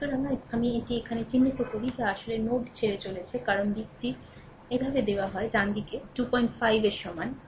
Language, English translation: Bengali, So, I mark it here that is actually leaving the node, because direction is this way it is given, right is equal to 2